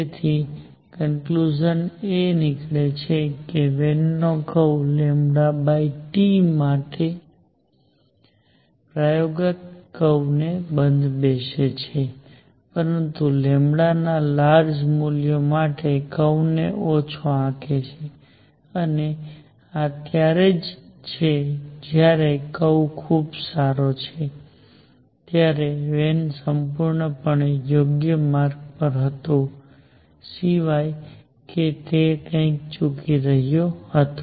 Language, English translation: Gujarati, So, conclusion Wien’s curve fits the experimental curve for nu over T going to very large value, but underestimates the curve for large values of lambda and this is when so the curve is very good the Wien was absolutely on the right track except that he was missing something